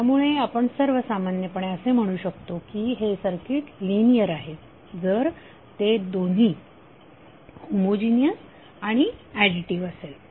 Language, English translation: Marathi, So what we can say in general this circuit is linear if it is both additive and homogeneous